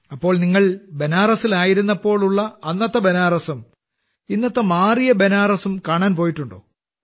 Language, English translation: Malayalam, So, did you ever go to see the Banaras of that time when you were there earlier and the changed Banaras of today